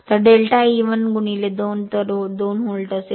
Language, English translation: Marathi, So, delta E will be 1 into 2